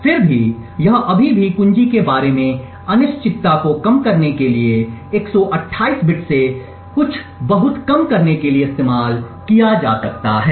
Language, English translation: Hindi, Nevertheless it can still be used to reduce the uncertainty about the key from 128 bits to something much more lower